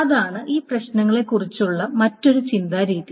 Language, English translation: Malayalam, So that is the other way of thinking about this problem